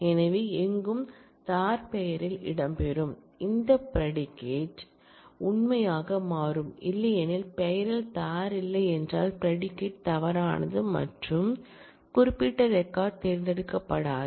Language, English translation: Tamil, So, anywhere “dar” will feature in the name, this predicate will turn out to be true otherwise if there is no “dar” in the name the predicate will turn out to be false and that particular record will not get selected